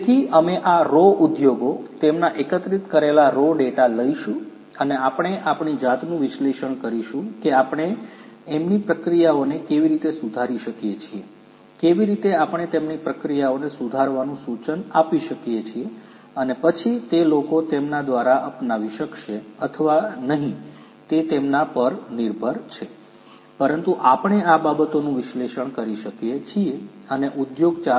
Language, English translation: Gujarati, So, we will take up these raw businesses, their raw data that we have collected and we will analyze ourselves that how we can improve their processes, how we can what we can suggest to improve their processes and then those suggestions can be adopted by them or not that is up to them, but we can analyze these things and we can give a prescription for them about what they they could do in terms of that option of industry 4